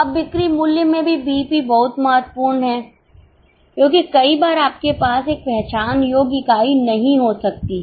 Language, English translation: Hindi, Now, BEP in sales value is also very important because many times you may not have an identifiable unit